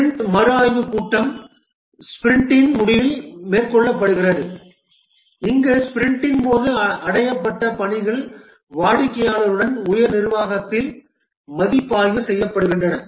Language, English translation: Tamil, The sprint review meeting is undertaken at the end of the sprint and here the work that has been achieved during the sprint is reviewed along with the customer and the top management